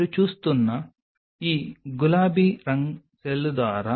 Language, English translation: Telugu, These pink what you are seeing are the ACM secreted by the cell